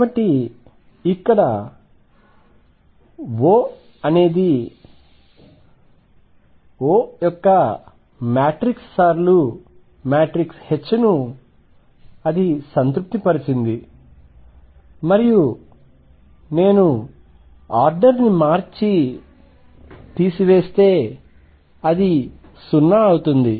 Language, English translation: Telugu, So, O satisfies that matrix of O time’s matrix of H and if I change the order and subtract it is 0